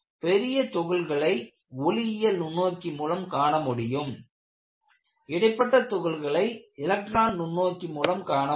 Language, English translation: Tamil, The large particles are visible in optical microscope, the intermediate particles are visible only in an electron microscope